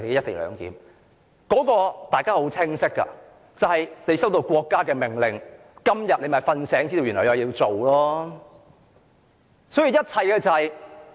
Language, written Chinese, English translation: Cantonese, 大家都很清楚，政府是收到國家的命令，"睡醒"了便知道今天原來有事情要做。, We all know very well that the Government has received a State order . It has come to realize after waking up that it has a task to do today